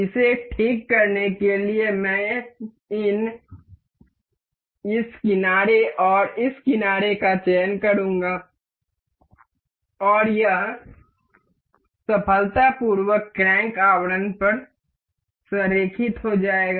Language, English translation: Hindi, To fix this I will select this edge and this edge to coincide, and it successfully aligns over the crank casing